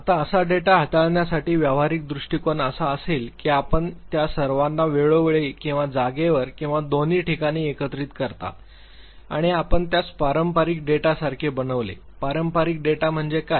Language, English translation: Marathi, Now, the pragmatic approach to handle such data would be that you aggregate all of them over time or over space or both and you just make it like a traditional data, what is traditional data